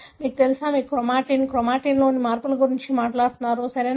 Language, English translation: Telugu, You know, you talk about chromatin, change in the chromatin, right